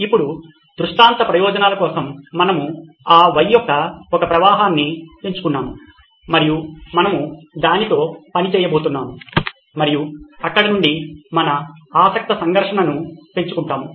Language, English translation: Telugu, Now for illustration purposes, we have picked one flow of that Y and we are going to work with that and then build up our conflict of interest from there